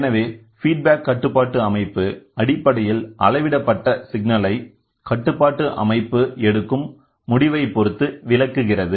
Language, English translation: Tamil, So, a feedback control system essentially controls that interprets the measured signal depending on which decision is taken to control the system